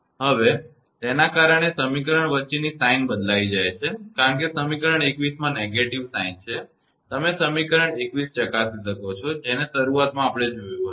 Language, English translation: Gujarati, So, that is why the sign change between equation; because of the negative sign in equation 21; you can check the equation 21; at the beginning we have developed